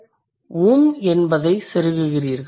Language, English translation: Tamil, You are inserting um